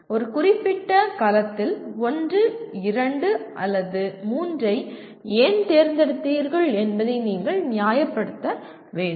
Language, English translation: Tamil, You have to justify why you chose 1, 2 or 3 in a particular cell